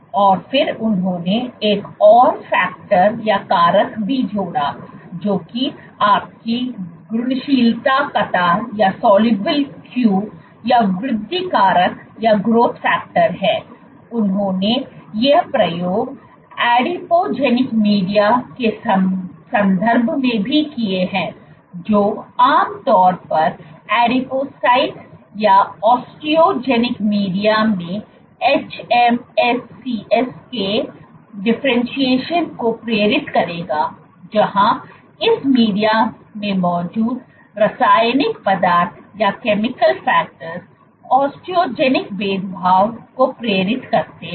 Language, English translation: Hindi, And then they also added one more factor which is your soluble queue or growth factor they also added did these experiments in the context of adipogenic media, which would typically induce differentiation of hMSCs in adipocytes or Osteogenic media where the chemical factors present in this media induces osteogenic differentiation